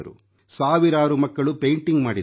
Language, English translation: Kannada, Thousands of children made paintings